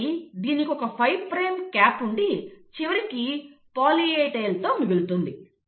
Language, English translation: Telugu, So it has a 5 prime cap, and it ends up having a poly A tail